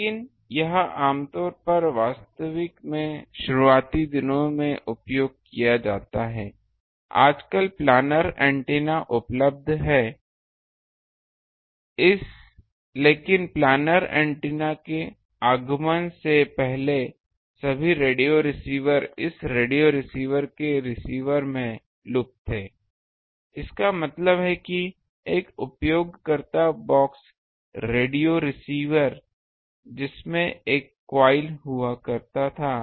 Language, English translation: Hindi, But this ah generally ah is heavily used actually in ah early days; nowadays the ah planar antennas are available , but before that advent of planar antennas, all radio receivers radio um receivers they were having this loop in the receiver; that means, a users box the radio receiver that used to have a coil